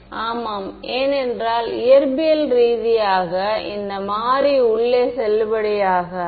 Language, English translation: Tamil, Yeah, because it’s not physically valid variable inside